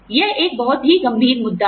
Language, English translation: Hindi, This is a very dicey issue